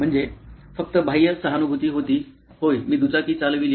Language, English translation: Marathi, I mean that was just external empathy, yes I did ride a 2 wheeler